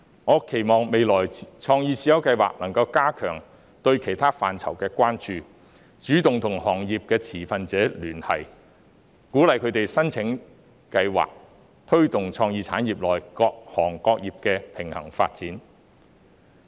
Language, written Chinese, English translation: Cantonese, 我期望在未來，創意智優計劃能加強對其他範疇的關注，主動與行業持份者聯繫，鼓勵他們申請計劃的資助，以推動創意產業內各行各業的平衡發展。, I hope that in future CSI will pay more attention to other areas and take the initiative to liaise with industry stakeholders to encourage them to apply for CSI funding so as to promote a balanced development of various trades and sectors in the creative sector